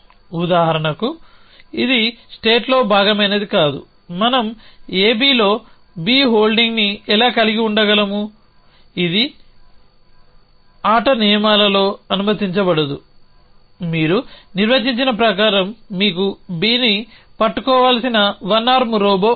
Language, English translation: Telugu, So, for example, this is cannot be part of the state how can we having on A B an also holding B essentially that is not allowed in the rules of the game you have defined you have a one arm robo which should be holding B